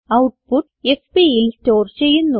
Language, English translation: Malayalam, The output is stored in fp